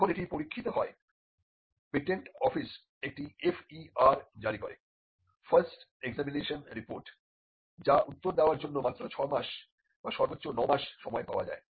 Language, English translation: Bengali, When it gets into examination, the patent office issues and FER, the first examination report which gives just 6 months or at best 9 months to reply